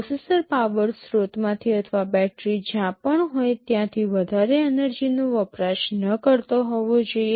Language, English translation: Gujarati, The processor must not consume too much energy from the power source or from the battery wherever it is working